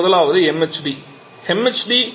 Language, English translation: Tamil, And the first one of them is MHD